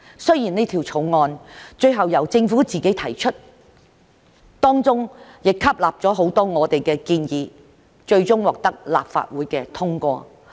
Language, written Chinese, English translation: Cantonese, 雖然此條例草案最後由政府自行提出，但當中亦吸納了很多我們的建議，最終獲得立法會通過。, Although the bill was ultimately introduced by the Government it adopted many of our proposals and was ultimately passed by this Council